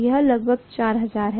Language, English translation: Hindi, That is supposed to be about 4000